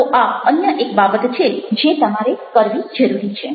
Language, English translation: Gujarati, so this is the other thing that you need to do now